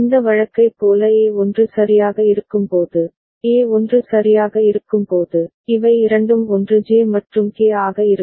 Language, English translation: Tamil, When A is 1 right like this case, when A is 1 right, then this will both of them are 1 J and K